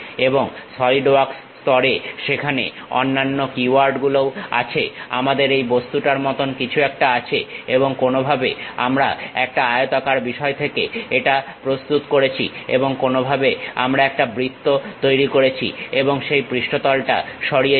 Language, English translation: Bengali, And there are other keywords also involved at Solidworks level, something like we have this object somehow we have prepared from rectangular thing, and somehow we have created a circle and remove that surface